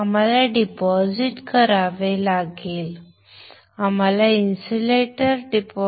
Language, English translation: Marathi, We have to, we have to deposit we have to deposit, we have to deposit a insulator, insulator